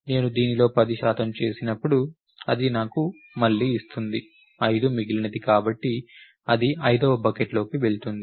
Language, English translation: Telugu, When I do a percent 10 of this what is happening, it gives me again 5 was the remainder therefore, it goes into the 5th bucket